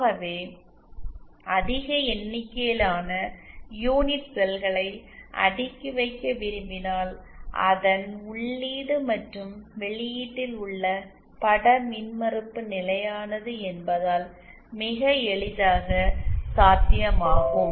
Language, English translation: Tamil, So if we want to just cascade large number of unit cells then it is very easily possible since the image impedance at the input and the output is constant